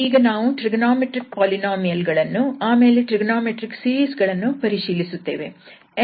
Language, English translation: Kannada, Lecture number 31 and today we will discuss on trigonometric polynomials and trigonometric series